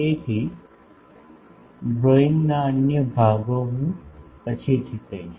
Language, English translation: Gujarati, So, the other portions of the drawing I will come later